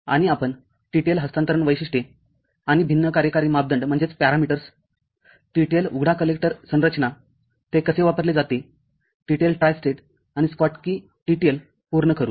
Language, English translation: Marathi, And we’ll cover TTL transfer characteristics and different operating parameters, TTL open collector configuration, how it is used, TTL Tristate, and Schottky TTL